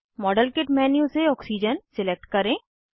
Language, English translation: Hindi, Click on the modelkit menu and check against oxygen